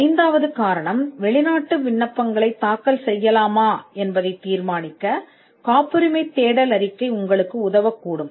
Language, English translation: Tamil, The fifth reason could be that the patentability search report can help you to be determine whether to file foreign applications